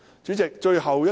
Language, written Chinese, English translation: Cantonese, 主席，最後一點。, President I have come to my last point